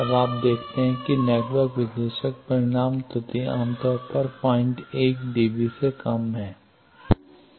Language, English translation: Hindi, Now, you see the network analyzer magnitude error is typically less than 0